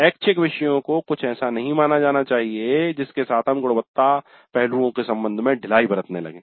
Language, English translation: Hindi, Electives must not be treated as something with which we can be lose with respect to the quality aspects